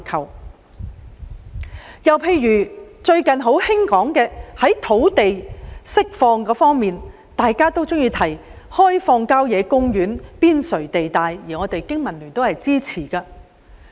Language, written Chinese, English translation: Cantonese, 另一例子是最近熱議的土地釋放問題，大家常說要開發郊野公園邊陲地帶，經民聯對此亦表支持。, Another example is the release of land a hot issue for discussion lately and many people suggest developing areas on the periphery of country parks a proposal supported also by the Business and Professionals Alliance for Hong Kong